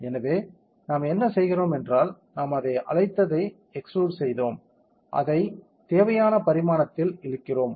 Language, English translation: Tamil, So, what we do is, we extruded what we call it is we push it pull it up in the required dimension